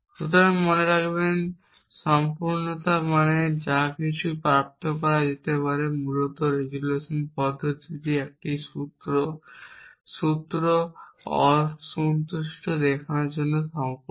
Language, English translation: Bengali, So, remember completeness means whatever can be derived basically resolution method is complete for showing that a formula is unsatisfiable